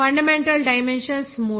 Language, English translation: Telugu, of fundamental dimensions are three